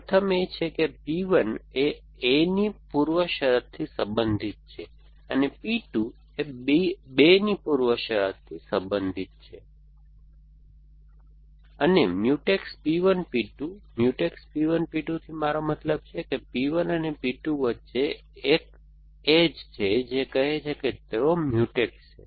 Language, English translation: Gujarati, The first is that P 1 belongs to precondition of a 1 and p 2 belongs to precondition of a 2 and Mutex P 1, P 2, Mutex P 1, P 2, I mean there is an edge between P 1 and P 2 which says that they are Mutex